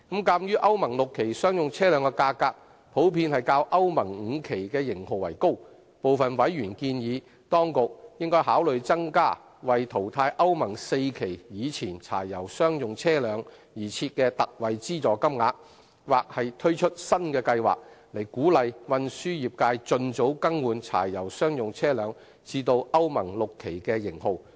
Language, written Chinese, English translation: Cantonese, 鑒於歐盟 VI 期商用車輛價格，普遍較歐盟 V 期型號為高，部分委員建議，當局應考慮增加為淘汰歐盟 IV 期以前柴油商用車輛而設的特惠資助金額，或推出新的計劃，以鼓勵運輸業界盡早更換柴油商用車輛至歐盟 VI 期型號。, Given that the prices of Euro VI commercial vehicles are generally higher than that of Euro V models some members have proposed that the Administration should consider raising the ex - gratia payments for phasing out pre - Euro IV diesel commercial vehicles or introduce a new scheme to encourage early replacement of diesel commercial vehicles with Euro VI ones by the transport trades